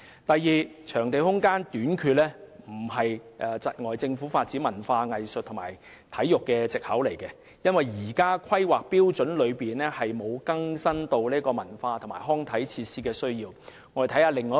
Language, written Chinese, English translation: Cantonese, 第二，場地空間短缺不是窒礙政府發展文化藝術及體育的藉口，因為現時的《香港規劃標準與準則》沒有因應文化及康體設施的需求而更新。, Second the lack of venues and space should not be an excuse for the hindrance in the Governments development of culture arts and sports because the existing Hong Kong Planning Standards and Guidelines has not been updated based on the demands for cultural and recreational facilities